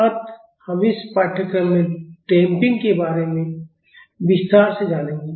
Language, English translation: Hindi, So, we will learn about damping in detail in this course